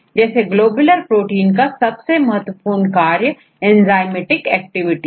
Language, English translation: Hindi, So, one of the most important functions of globular proteins Enzymatic